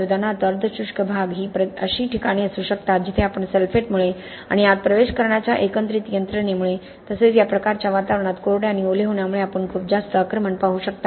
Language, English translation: Marathi, For example the semi arid regions can be places where you can see a lot more attack because of sulphate because of the combined mechanisms of penetration as well as you have drying and wetting that happen in these kind of environments